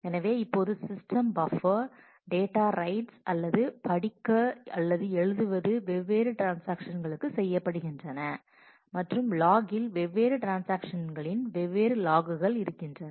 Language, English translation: Tamil, So, now, the in the buffer area the, data rights are or reads or writes are done for different transactions and in the log the different logs of different transactions are fixed up